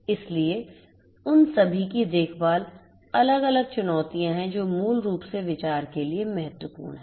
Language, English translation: Hindi, So, taken care of all of them are different different challenges that basically are important for consideration